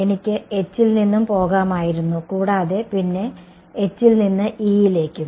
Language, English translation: Malayalam, I could have also gone from H and then from H to E